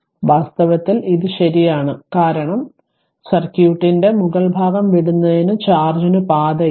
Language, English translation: Malayalam, So in fact, this is the true because there is no path for charge to leave the upper part of the circuit